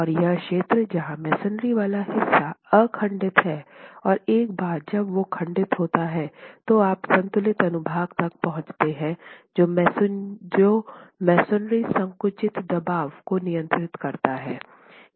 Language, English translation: Hindi, And in this region where the masonry portion is uncracked and once cracking occurs, till you reach the balanced section, the masonry compressive stress is governing, is controlling